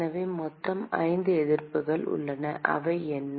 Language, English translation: Tamil, So, there are totally 5 resistances and what are they